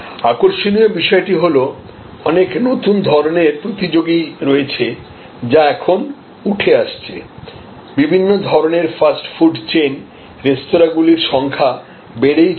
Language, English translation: Bengali, Now, the interesting thing is there are so many new types of competitors, which are now coming up, you know the fast food chain of different types, restaurants are proliferating